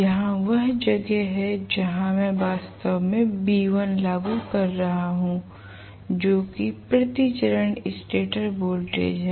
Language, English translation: Hindi, Here is where I am actually applying the value v1 that is the stator voltage applied per phase